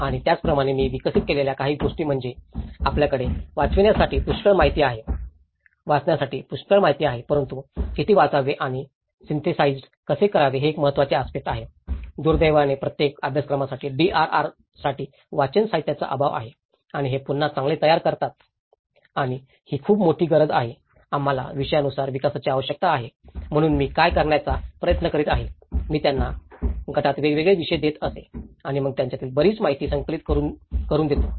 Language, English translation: Marathi, And similarly, some of the things what I also developed is; we have so much of information to read but how much to read and how to synthesize, it is a very important aspect, unfortunately, for each course there is a lack of reading materials for DRR and build back better and this is a very great need that we need to develop by topic by topic so, what I try to do is; I used to give them different topics within the groups and then let them compile a lot of information on it